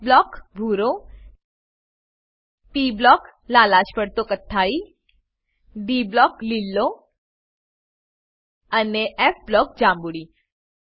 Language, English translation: Gujarati, * s block – blue * p block – reddish brown * d block – green and * f block – Purple